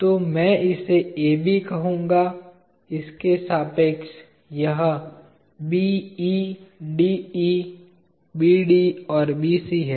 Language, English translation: Hindi, So, I will call this as AB, about this it is BE, DE, BD and BC